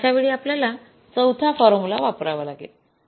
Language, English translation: Marathi, So, in that case we will have to use the fourth formula